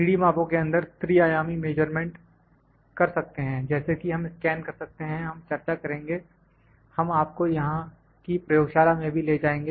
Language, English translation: Hindi, 3D measurement in 3D measurements, we can do the measurement for the three dimensions, like we can scan and we will discuss, also we will take you to the laboratory here